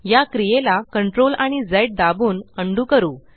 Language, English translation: Marathi, Lets undo this by pressing CTRL and Z keys